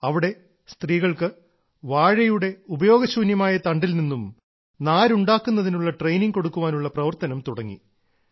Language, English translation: Malayalam, Here, the work of training women to manufacture fibre from the waste banana stems was started